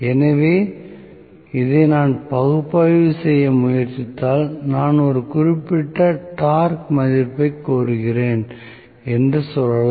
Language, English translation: Tamil, So, dynamically if I try to analyze this, let us say I am demanding a particular value of torque